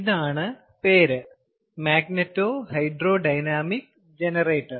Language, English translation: Malayalam, there is the name magneto hydro dynamic generator